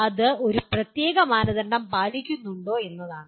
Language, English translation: Malayalam, That is whether it meets a particular standard